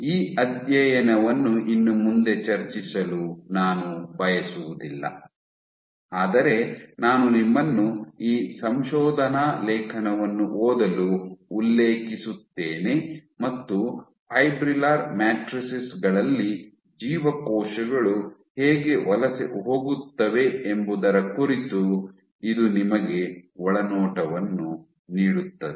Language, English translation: Kannada, I do not want to discuss this study anymore, but I refer you to this paper it would give you insight as to how cells migrate on fibrillar matrices